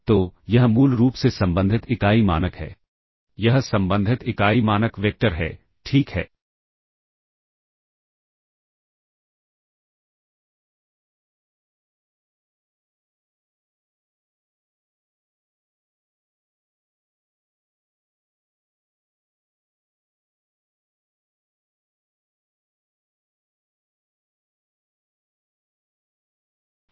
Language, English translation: Hindi, this is the corresponding unit norm vector, ok all right